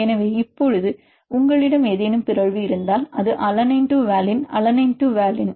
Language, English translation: Tamil, So, now if you have any mutation for example, it is alanine to valine, alanine to valine